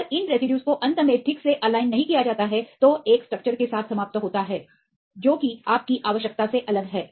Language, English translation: Hindi, If these residues are not properly aligned finally, end up with a structure right, which is different from what you require